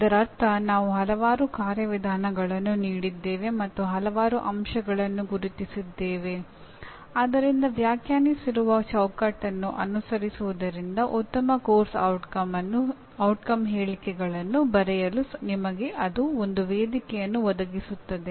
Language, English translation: Kannada, That means we gave several procedures and several factors identified so that following that; following are a framework that is defined by all of them that provides you a platform for writing good course outcome statements